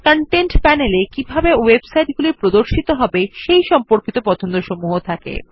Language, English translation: Bengali, The Content panel contains preferences related to how websites are displayed